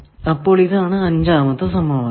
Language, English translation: Malayalam, So, this we are calling second equation